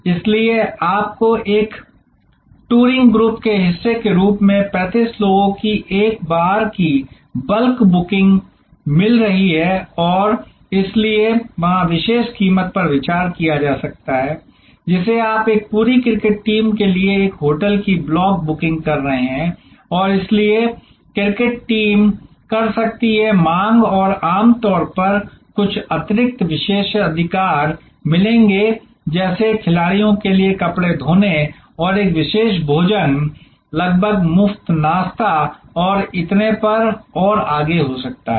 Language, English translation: Hindi, So, you are getting at one time bulk booking of 35 people as part of a touring group and therefore, there can be special price consideration you are making a block booking of a hotel for a whole cricket team and therefore, the cricket team will can demand and will normally get certain additional privileges like may be laundry for the players and a special meal almost free breakfast and so on and so forth